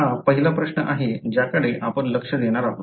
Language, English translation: Marathi, That is the first question that we are going to look at